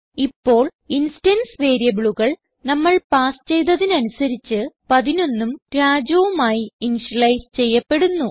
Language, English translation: Malayalam, Now the instance variables will be initialized to 11 and Raju.As we have passed